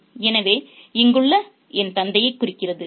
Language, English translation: Tamil, So the eye here refers to to the father